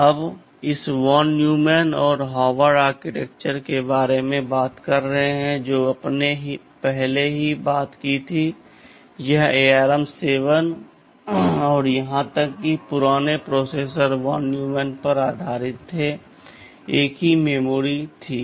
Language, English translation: Hindi, Now talking about this von Neumann and Harvard architecture you already talked about earlier, this ARM 7 and the even older processors were based on von Neumann, there was a single memory